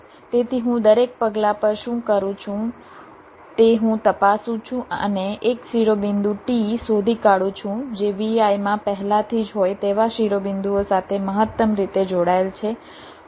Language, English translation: Gujarati, so what i do at every step, i check and find out a vertex, t, which is maximally connected to the vertices which are already there in v i